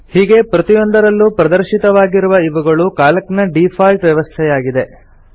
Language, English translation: Kannada, Displayed in each of these are the default settings of Calc